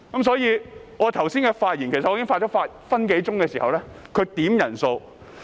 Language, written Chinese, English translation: Cantonese, 所以，我剛才發言了逾1分鐘時，他便要求點算人數。, That is why he requested a headcount when I had spoken for one minute or so just now